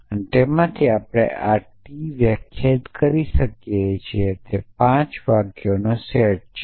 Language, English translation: Gujarati, And from that we can defined this said t is the set of 5 sentences